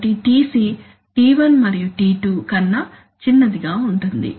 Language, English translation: Telugu, So Tc is going to be smaller than t1 and t2